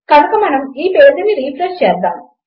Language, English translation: Telugu, So lets refresh this page and hey